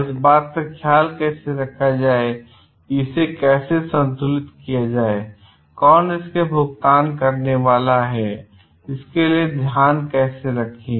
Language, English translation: Hindi, So, how to take care of this how to balance this and who is going to pay for it and how to account for it